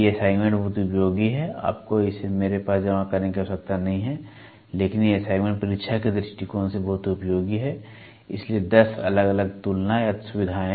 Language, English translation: Hindi, These assignments are very useful you do not have to submit it to me, but these assignments are very useful from the examination point of view, so, 10 different comparators or features